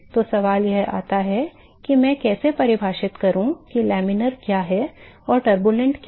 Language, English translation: Hindi, So, the question comes in as to how do I define what is laminar and what is turbulent